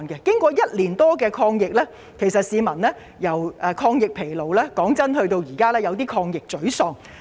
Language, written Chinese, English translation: Cantonese, 經過1年多的抗疫，市民已由"抗疫疲勞"變成現時的"抗疫沮喪"。, After a prolonged fight against the epidemic for over a year the public now experience anti - epidemic frustration rather than anti - epidemic fatigue